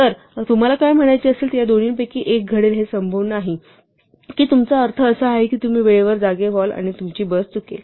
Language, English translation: Marathi, So, what you will mean is that one of these two will happen it is unlikely that you mean that you will wake up in time and you will miss your bus